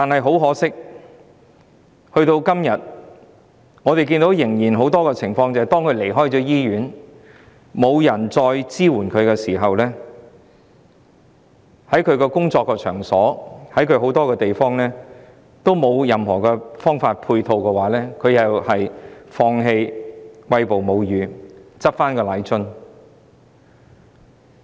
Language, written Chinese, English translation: Cantonese, 很可惜，到了今天，仍有很多婦女在離開醫院後，因為再得不到任何支援，加上她們的工作場所和很多公共場所沒有任何相關配套設施，最後只好放棄餵哺母乳，重拾奶樽。, Regrettably nowadays as many women cannot get support after leaving the hospital and there is a lack of relevant ancillary facilities at workplaces and many public places they eventually have to give up breastfeeding and use formula milk again